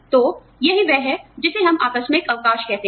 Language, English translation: Hindi, So, that is what, we call as casual leave